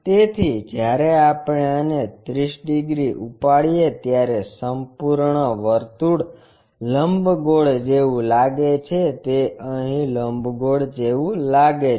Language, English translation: Gujarati, So, when we ah lift this by 30 degrees, the complete circle looks like an ellipse, it looks like an ellipse here